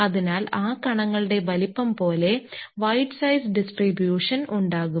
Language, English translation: Malayalam, So, as the size of those particles size distribution because if you have wide size distribution